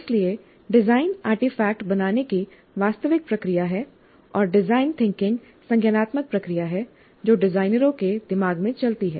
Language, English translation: Hindi, So design is the actual process of creating the artifact and the thinking is, design thinking is the cognitive process which goes through in the minds of the designers